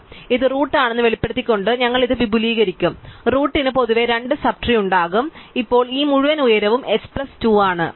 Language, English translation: Malayalam, So, we will expand this by exposing it is root and the root will have in general 2 sub trees, so now this whole thing as height h plus 2